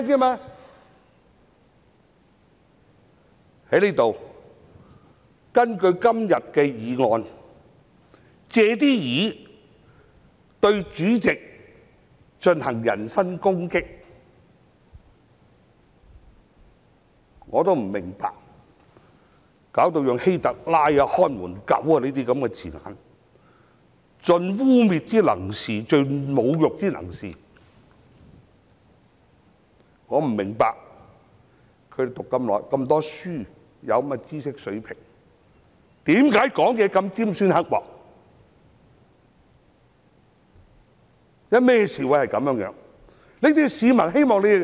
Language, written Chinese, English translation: Cantonese, 在這裏，有人藉今天的議案對主席進行人身攻擊，更引用希特勒、"看門狗"等字眼，盡污衊、侮辱之能事，我不明白，議員們擁有如此高學歷和知識水平，為何說話如此尖酸刻薄？, Here in this Council under the guise of todays motion some people made personal attacks on the President invoking Adolf HITLER and using such terms as barking dogs for maximum slandering and derogatory effect . It beats me that these Members who possess such high levels of academic qualifications and intellect could make such caustic remarks and act in such a manner